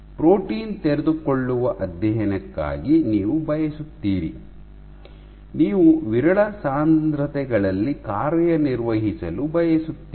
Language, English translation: Kannada, So, you want to for protein unfolding studies, you want to operate at sparse concentrations